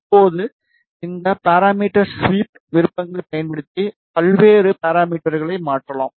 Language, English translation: Tamil, Now, we can change various parameters using this parameter sweep options